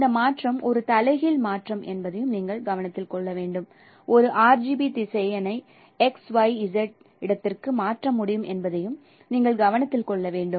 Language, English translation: Tamil, You should note that this transformation is an invertible transformation and as you can transform an RGB vector to XYZ space